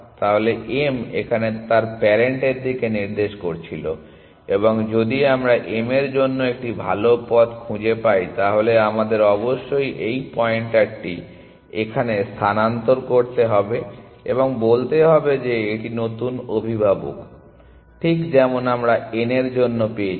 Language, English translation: Bengali, So, m was pointing to its parent here and if we find a better path to m, we must shift this pointer here and say that this is the new parent, exactly like what we did for n